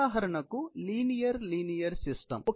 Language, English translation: Telugu, This is for example, a linear linear system